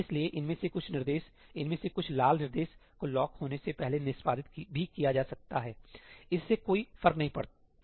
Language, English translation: Hindi, So, some of these instructions, some of these red instructions may even get executed before the lock has been released does not matter